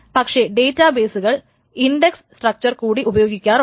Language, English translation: Malayalam, , and all of these things, but the databases also use the index structures